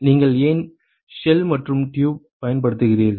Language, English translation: Tamil, Why do you use shell and tube in